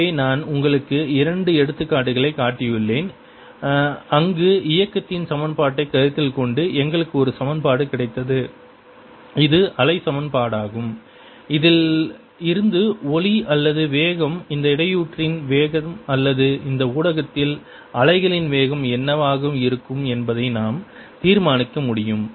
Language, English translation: Tamil, so i shown you to examples where, by considering the equation of notion, we got an equation, which is the wave equation, from which you can determine the speed of sound, speed of the disturbance, speed of wave in that medium is going to be